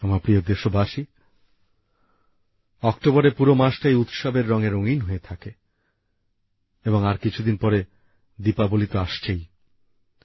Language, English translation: Bengali, the whole month of October is painted in the hues of festivals and after a few days from now Diwali will be around the corner